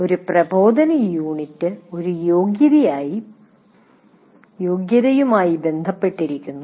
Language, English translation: Malayalam, And one instructional unit is associated with one competency